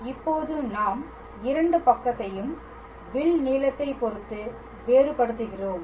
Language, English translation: Tamil, And now we differentiate both sides with respect to the arc length all right